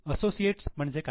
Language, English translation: Marathi, What is meant by associate